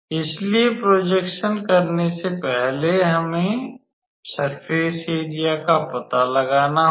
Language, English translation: Hindi, So, before doing the projection we first need to find out the surface area